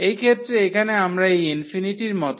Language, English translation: Bengali, So, in this case here we have like this infinity